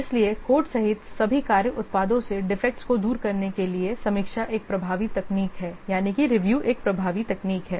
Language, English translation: Hindi, So, review is a very effective technique to remove defects from all work products even if including code